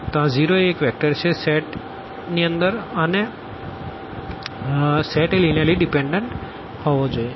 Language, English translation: Gujarati, So, this 0 is one of the vectors in the set and then the set must be linearly dependent